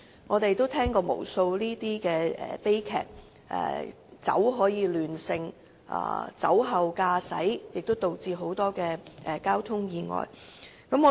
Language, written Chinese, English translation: Cantonese, 我們也曾聽聞無數此等悲劇，正因為酒能亂性，酒後駕駛會導致許多交通意外發生。, We have also heard of countless such tragedies precisely because people will lose sobriety under the influence of alcohol and drink driving will lead to the occurrence of many traffic accidents